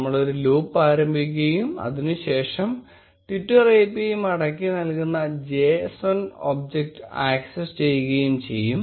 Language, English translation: Malayalam, We will start a loop and then access the json object which is returned by the twitter API